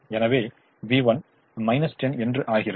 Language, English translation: Tamil, therefore v one has to be zero